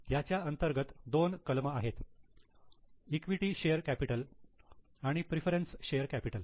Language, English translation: Marathi, Under that there are two items, equity share capital and preference share capital